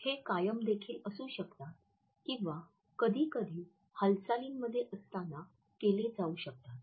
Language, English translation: Marathi, They can also be static or they can be made while in motion